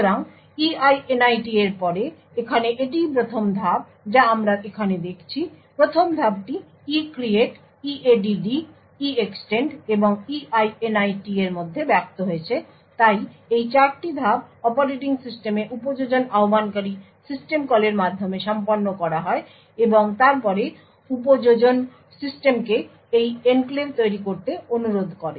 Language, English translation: Bengali, So, after EINIT that is the first step which is over here so the first step as we seen over here ivolves the ECREATE EADD EEXTEND and EINIT, so these 4 steps are all done the operating system by application invoking system calls and then requesting application system to create this enclave